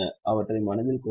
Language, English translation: Tamil, Please keep them in mind